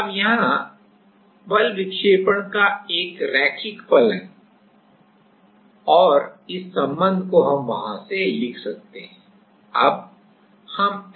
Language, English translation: Hindi, Now, here the force is a linear function of deflection and this relation we can write from there